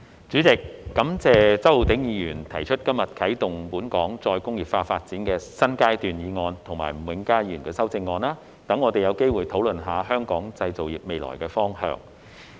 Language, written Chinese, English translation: Cantonese, 主席，感謝周浩鼎議員今天提出"啟動本港再工業化發展的新階段"議案及吳永嘉議員的修正案，讓我們有機會討論香港製造業的未來方向。, President I would like to thank Mr Holden CHOW for proposing the motion on Commencing a new phase in Hong Kongs development of re - industrialization today and Mr Jimmy NG for his amendment so that we have an opportunity to discuss the future direction of Hong Kongs manufacturing industry